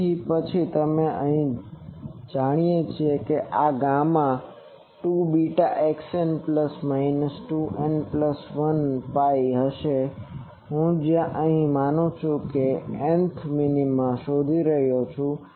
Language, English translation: Gujarati, So, then we know that this gamma will be 2 beta x n plus minus 2 n minus 1 pi, where here I am assuming that nth minima I am finding